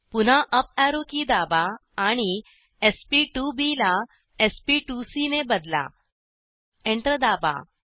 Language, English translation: Marathi, Again, press up arrow key and change sp2b to sp2c, press Enter